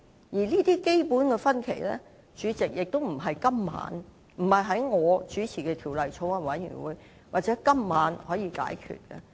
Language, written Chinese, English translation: Cantonese, 而這些基本的分歧，主席，也不能由我所主持的法案委員會或在今晚可以解決。, Only opposition Members find the explanation not acceptable . President this is the very fundamental difference that can neither be resolved by the Bill Committee chaired by me nor through the debate tonight